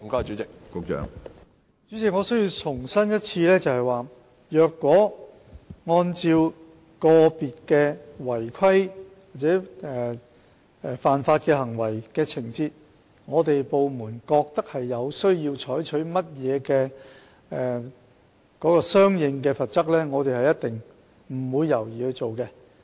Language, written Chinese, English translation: Cantonese, 主席，我必須重申，如果根據個別違規或犯法的行為和情況，令我們的部門認為有需要採取一些相應的罰則，我們必定毫不猶豫地去做。, President I must reiterate that if in light of individual irregularities or illegalities our department considers it necessary to impose corresponding penalties we will definitely do so without hesitation